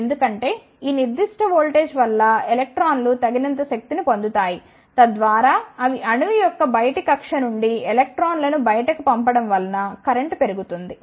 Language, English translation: Telugu, Because for this particular voltage the electrons gains sufficient energy so, that they knock out the electrons from the outer orbit of the atom and the current increases